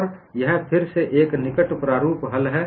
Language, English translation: Hindi, And what is the closed form solution